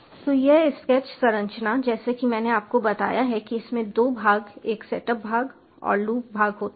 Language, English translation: Hindi, as i have told you, it consists of two parts: a setup part and the loop part